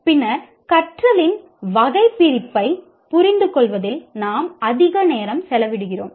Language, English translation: Tamil, Then we spend a lot of time in understanding the taxonomy of learning